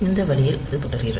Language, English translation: Tamil, So, this way it goes on